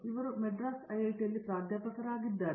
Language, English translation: Kannada, He is professor emeritus here in IIT, Madras